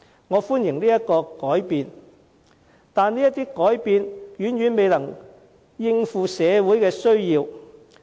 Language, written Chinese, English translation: Cantonese, 我歡迎這些改變，但這些改變遠遠未能應對社會的需要。, I welcome such changes but they still cannot meet the needs of the community